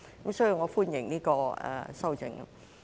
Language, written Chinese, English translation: Cantonese, 因此，我歡迎這項修正案。, Hence I welcome this amendment